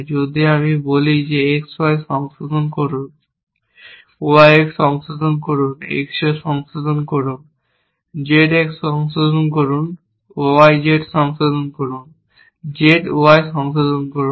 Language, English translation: Bengali, We will call revise with X and Y with Y and X with X and Z with Z and X with Y and Z and Z and Y